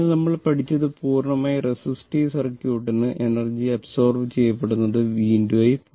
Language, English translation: Malayalam, So, what we have learnt that for purely resistive circuit power absorbed is, we have seen that is v into i right